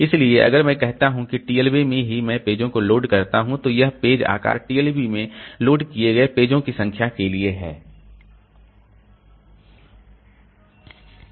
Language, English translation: Hindi, So if I say that this, if I say that okay in the TLB itself I will load the pages, then this page size for number of pages loaded with the TLB